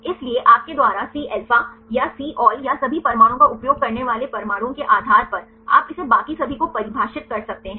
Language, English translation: Hindi, So, depending upon the atoms you use either Cα or Cβ or all atoms you can define it rest of all